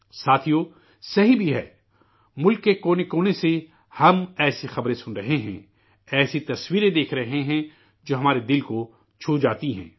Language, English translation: Urdu, Friends, it is right, as well…we are getting to hear such news from all corners of the country; we are seeing such pictures that touch our hearts